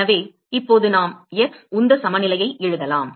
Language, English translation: Tamil, So, now we can write an x momentum balance